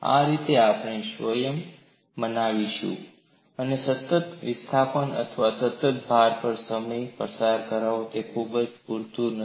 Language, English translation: Gujarati, This way, we will convince our self, spending time on constant displacement or constant load is good enough